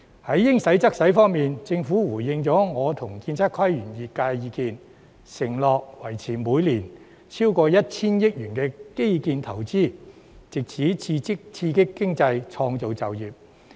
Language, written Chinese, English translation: Cantonese, 按照"應使則使"的原則，政府回應了我與建築、測量、都市規劃及園境業界的意見，承諾維持每年超過 1,000 億元基建投資，藉此刺激經濟，創造就業。, Under the principle of spending appropriately the Government has responded to the views expressed by the architectural surveying town planning and landscape sectors and me and undertook to maintain more than 100 billion of infrastructure investment each year so as to stimulate the economy and create jobs